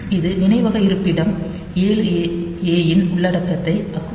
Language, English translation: Tamil, So, this will add the content of memory location 7 A with accumulator